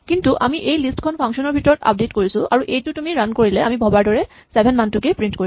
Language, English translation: Assamese, But we update that list inside the function and then if you run it then it does print the value 7 as we expect